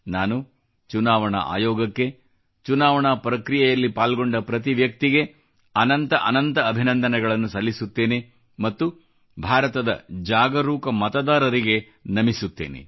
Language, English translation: Kannada, I congratulate the Election Commission and every person connected with the electioneering process and salute the aware voters of India